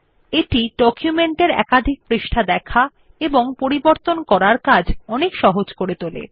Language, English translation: Bengali, It makes the viewing and editing of multiple pages of a document much easier